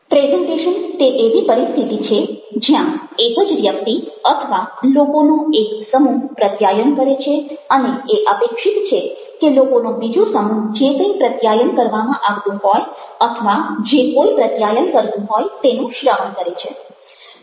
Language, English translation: Gujarati, presentation is a situation where only one person or a group of people are communicating and it is expected that another group of people are listening to whoever is communicating or whoever are communicating